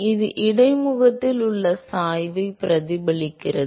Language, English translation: Tamil, It reflects the gradient at the interface